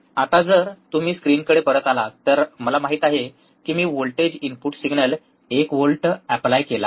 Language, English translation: Marathi, Now, if you come back to the screens, I have, I know I much applied I have applied voltage input signal